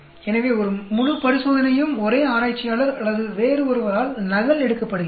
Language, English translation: Tamil, So, the entire experiment is duplicated by the same researcher or someone else